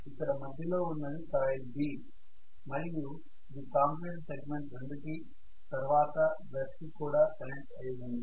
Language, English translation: Telugu, Now this coil what is in the middle is B and that coil is the one which is connected to the commutator segment number 2 which is eventually connected to the brush